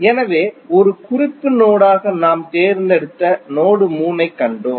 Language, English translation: Tamil, So, we have seen that the node 3 we have chosen as a reference node